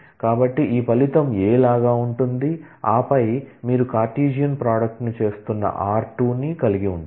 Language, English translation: Telugu, So, this result will be like a a, and then you have r 2 with which you are doing the Cartesian product